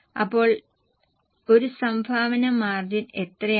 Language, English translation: Malayalam, So, how much is a contribution margin now